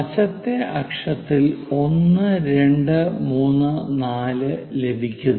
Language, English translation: Malayalam, So, this is the way 1, 2, 3, 4, 5